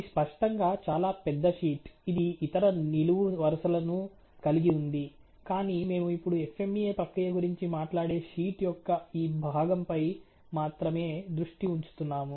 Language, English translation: Telugu, This is obviously of a much higher size sheet which has other columns as well, but we are just making sure, we are just in concerned with only this part of the sheet which talks about the FMEA process actually